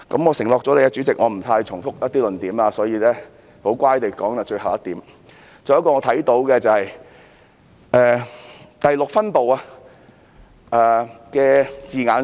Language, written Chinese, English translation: Cantonese, 我向主席承諾不會太重複一些論點，所以我十分順從地說到最後一點，就是第6分部的字眼。, As I have promised the Chairman that I will not repeat the previous arguments I will come to my last point which relates to the wordings in Division 6